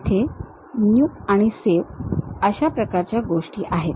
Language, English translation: Marathi, There is something like New, Save kind of things